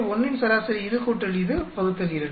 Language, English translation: Tamil, Average of A1, this plus this by 2